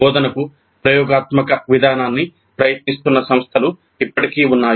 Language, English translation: Telugu, Still there are institutes which are trying the experiential approach to instruction